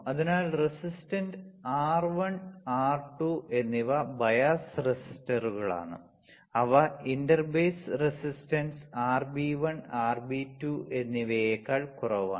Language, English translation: Malayalam, So, resistance R 1 and R 2 are bias resistors which are selected such that they are lower than the inter base resistance RB 1 and RB 2, right